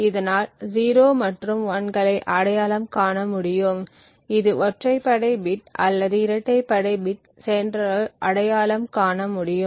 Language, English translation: Tamil, So, it would then be able to identify 0s and 1s it would be able to identify whether it was odd bit or an even bit that the sender had actually transmitted